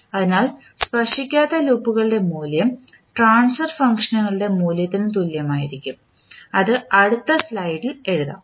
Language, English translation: Malayalam, So, in that case the value of non touching loops will be equal to the value of the transfer functions that is let us write in the next slide